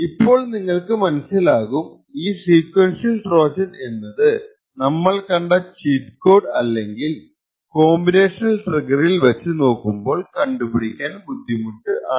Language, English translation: Malayalam, So you see that this sequential Trojan may be more difficult to actually detect compared to the cheat code or the combinational trigger that we discussed